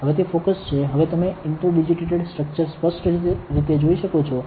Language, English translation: Gujarati, Now, it is in focus you can see the inter digitated structure more clearly now very clearly, correct